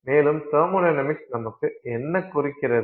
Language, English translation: Tamil, What is the thermodynamics of the system